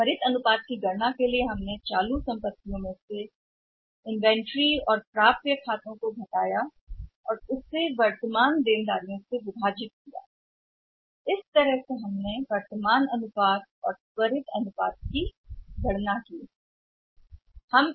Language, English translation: Hindi, For calculating the quick what we were doing current assets minus inventory minus accounts receivables we subtracted them also and then we are calling divided by the current liabilities so it means that way it was the current ratio and quick ratio of the assets ratio